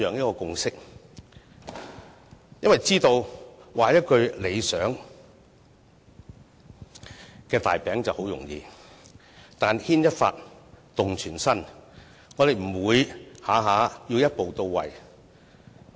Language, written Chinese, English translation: Cantonese, 原因是大家知道，畫一個理想的大餅很容易，但牽一髮動全身，我們不會動輒要求一步到位。, The reason is that as we all know it is easy to paint a rosy picture but a slight move in one part may affect the whole so we will not demand attaining the goal in one step